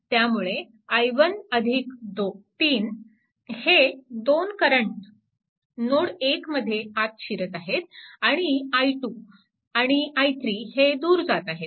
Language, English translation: Marathi, So, this is your i 1; i 1 current is entering right into this into node 2 and i 3 and i 4 are leaving